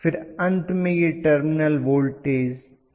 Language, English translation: Hindi, So this is going to be the terminal voltage Vt right